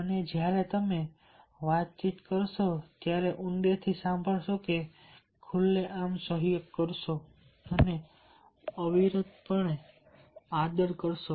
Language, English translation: Gujarati, and when you interact will listen deeply, collaborate openly, and this respect unfailingly